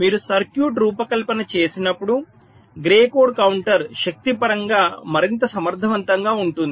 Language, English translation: Telugu, so when you design a circuit, expectedly grey code counter will be more efficient in terms of power